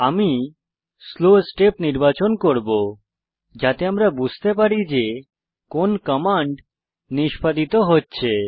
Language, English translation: Bengali, I will choose Slow step so that we understand what commands are being executed